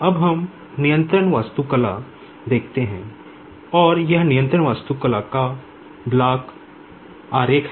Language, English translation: Hindi, Now let us see the controls architecture and this is the block diagram of the control architecture